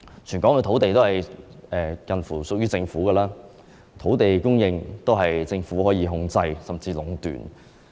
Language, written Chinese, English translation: Cantonese, 全港的土地差不多也是屬於政府的，土地供應可以由政府控制，甚至壟斷。, Almost all land in Hong Kong belongs to the Hong Kong . Land supply can be controlled and even monopolized by the Government